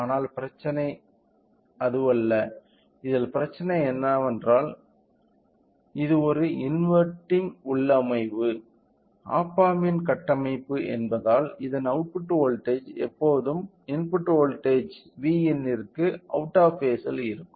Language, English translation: Tamil, But, the problem or in this case what is the problem is that since it is an inverting configuration op amp configuration the output voltage and will always be out of phase with V in